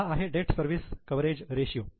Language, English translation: Marathi, So, that is a debt service coverage ratio